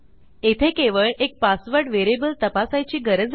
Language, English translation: Marathi, So we only need to check this on one of the password variables